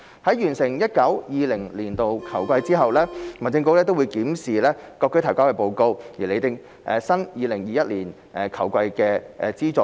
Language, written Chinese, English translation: Cantonese, 在完成 2019-2020 年度球季後，民政局會檢視各區隊提交的報告，並釐定 2020-2021 球季的資助水平。, Upon completion of the 2019 - 2020 football season the Home Affairs Bureau will review the reports submitted by district teams and determine the funding levels for the 2020 - 2021 football season